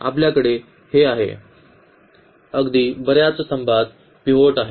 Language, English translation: Marathi, So, we have this right here right most column has a pivot